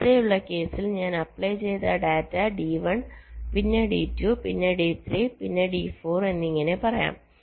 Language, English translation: Malayalam, lets say, in the earlier case the data i was applying was d one, then d two, then d three, then d four